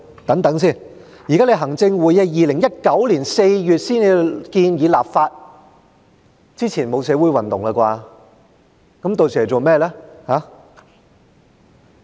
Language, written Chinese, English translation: Cantonese, 等等，行政會議於2019年4月才建議立法，在那之前沒有社會運動吧？, Wait it was in April 2019 that the Executive Council recommended enacting the legislation . There was no social movement before that right?